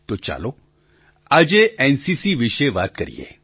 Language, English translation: Gujarati, So let's talk about NCC today